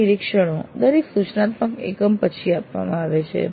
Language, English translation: Gujarati, These observations are given after every instructor unit